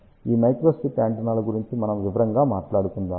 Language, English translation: Telugu, We will talk in detail about these microstrip antennas latter on